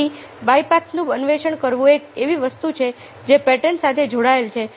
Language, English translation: Gujarati, so exploring the bypaths is something which patterns in a with